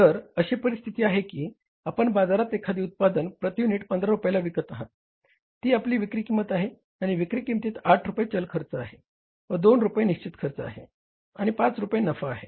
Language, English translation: Marathi, 15 rupees per unit that is our selling cost and in this selling price your 8 rupees is the variable cost, 2 rupees is the fixed cost and 5 rupees is the profit